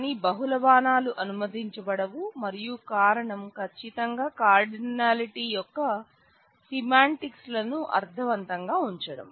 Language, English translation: Telugu, But multiple arrows are not allowed and the reason is certainly to keep the semantics of the cardinality meaningful